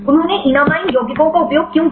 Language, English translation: Hindi, Why they used enamine compounds